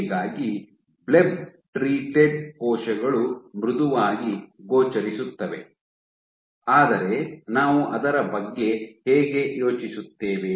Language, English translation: Kannada, So, blebb treated cells appear softer, but how do we think about it